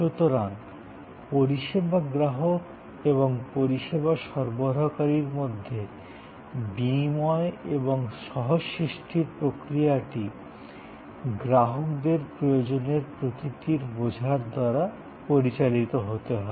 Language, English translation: Bengali, So, the process of exchange and co creation between the service consumer and the service provider must be guided by the understanding of the nature of customers need